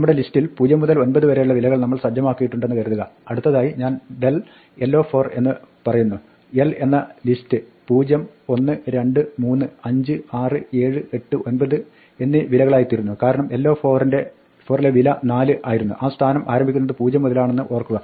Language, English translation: Malayalam, Supposing, we set our list to be the range of values from 0 to 10, 0 to 9 say, and now I say del l 4 then l becomes 0, 1, 2, 3, 5, 6, 7, 8, 9, because l 4 was the value 4 remember the position start from 0